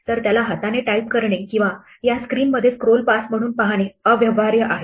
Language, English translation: Marathi, It is impractical to type them by hand or to see them as a scroll pass in this screen